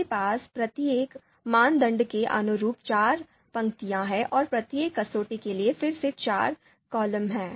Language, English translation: Hindi, So we have four rows and corresponding to each criterion and four columns corresponding to again each criterion